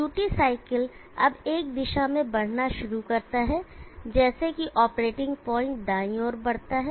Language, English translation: Hindi, The duty cycle now starts moving in a direction such that operating point moves to the right